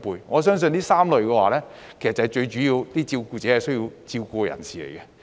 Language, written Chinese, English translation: Cantonese, 我相信這3類人士是最主要需要照顧者照顧的人。, I believe these three are the major types of persons who need carers to take care of